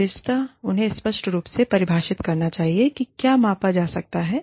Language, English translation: Hindi, They should clearly define, what is being measured